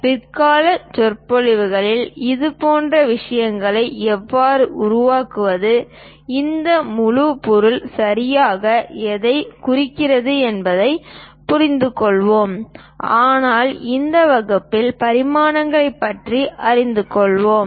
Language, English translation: Tamil, Later lectures, we will understand that how to construct such kind of things, what exactly this entire object represents, but in this class we will learn about dimensions